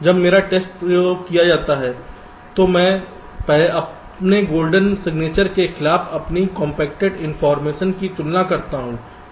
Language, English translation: Hindi, so after my test experiment is done, i compare my compacted information against my golden signature